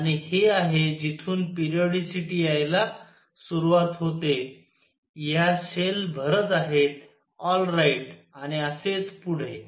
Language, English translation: Marathi, And this is where the periodicity starts coming in; these are the shell feelings, all right and so on